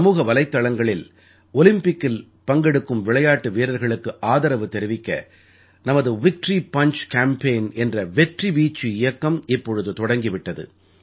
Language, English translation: Tamil, On social media, our Victory Punch Campaign for the support of Olympics sportspersons has begun